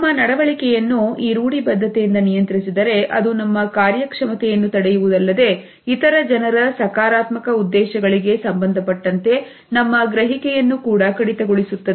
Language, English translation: Kannada, If our behavior is governed by these stereotypes then it not only inhibits our performance, but it also makes us less receptive as far as the other peoples positive intentions are concerned